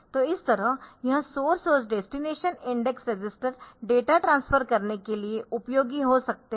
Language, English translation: Hindi, So, this way this source and destination index registers can be useful for doing the data transfer